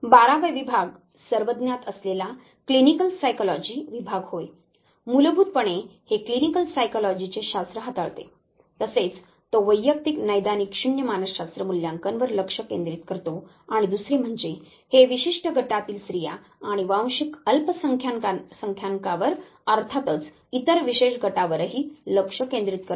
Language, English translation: Marathi, The 12th division the most commonly known division the clinical psychology division basically it handles the science of clinical psychology it also focuses on the assessment of the individual clinical zero psychology and is another, specific concerned at this group focuses on women and ethnic minorities are of course, other special groups